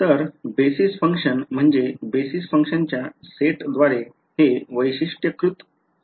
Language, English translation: Marathi, So, basis function so it is characterized by set of basis function